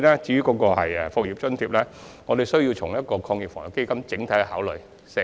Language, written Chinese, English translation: Cantonese, 至於"復業津貼"，我們需要從防疫抗疫基金的角度作整體考慮。, We need to consider the proposal for the business resumption allowance from the perspective of the Anti - epidemic Fund holistically